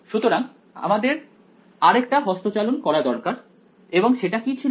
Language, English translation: Bengali, So, we had to do one more manipulation and that was